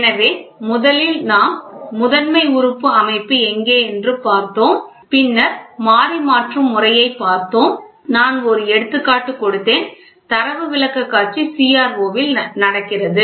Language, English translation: Tamil, So, primary so, first we saw primary so, then we saw where Primary Element System, then Variable Conversion System I gave an example, then the data presentation happens in the CRO